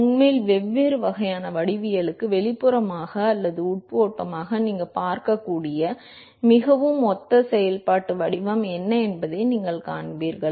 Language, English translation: Tamil, And in fact, you will see that for different kinds of geometries is a very, very similar functional form that you will see, whether it is external or internal flow